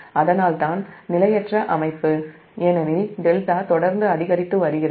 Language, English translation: Tamil, so it is unstable system because delta is continuously increasing